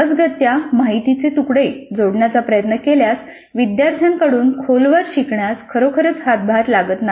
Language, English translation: Marathi, Randomly trying to pick up pieces of information would not really contribute to any deep learning by the students